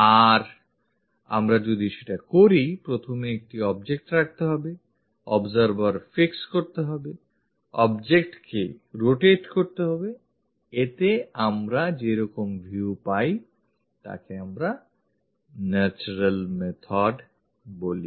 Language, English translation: Bengali, If we are doing that, first keep an object, fix the observer, rotate the object, the views whatever we are going to get, that is what we call natural method